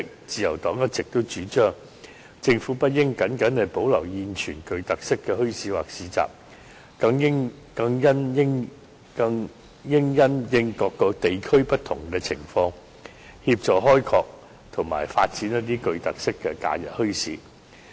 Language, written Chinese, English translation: Cantonese, 自由黨一直主張，政府不應僅僅保留現存的特色墟市或市集，更應因應各個地區不同的情況，協助開拓及發掘一些別具特色的假日墟市。, The Liberal Party has always maintained that the Government should not only retain the existing bazaars or markets but also help develop and establish new holiday bazaars with special features according to the different conditions of individual districts